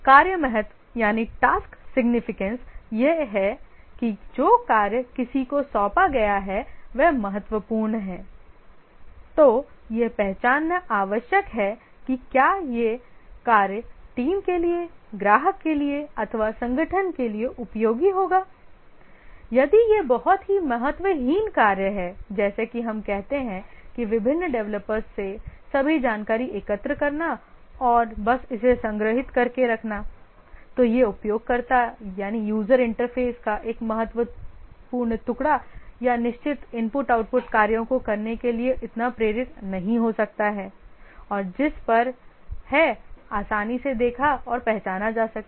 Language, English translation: Hindi, The task significance, whether the task that is assigned to somebody it is significant, whether it will be useful to the team, to the organization, to the customer, if it is a very insignificant work, like let's say just collecting all information from various developers and just storing it, then it may not be so motivating as doing a crucial piece of the user interface or certain I